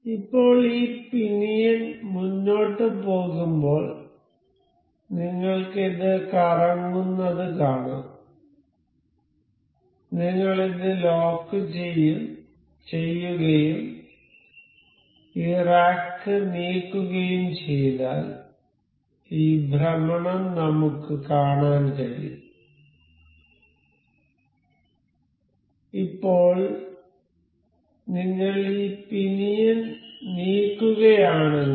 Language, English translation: Malayalam, So, now, as this pinion moves forward you can see this rotating, if we lock this and we will move this rack we can see this rotating; so, now, if we move this pinion